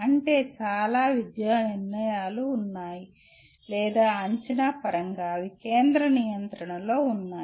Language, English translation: Telugu, That means there are many academic decisions or in terms of assessment they are centrally controlled